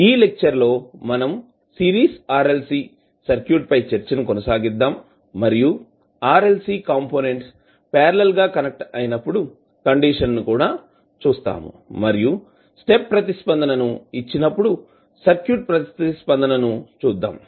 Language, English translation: Telugu, In this class we will continue a discussion on Series RLC Circuit and we will also see the condition when your RLC are connected in parallel and then you provide the step response to that circuit